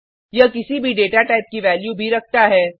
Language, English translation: Hindi, It also holds value of any data type